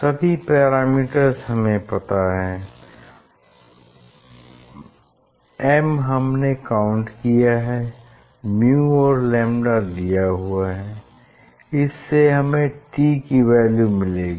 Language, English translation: Hindi, all parameters are known, so m we have counted and yes mu and lambda are given, so we will get t